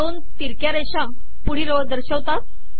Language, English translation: Marathi, Two reverse slashes indicate next line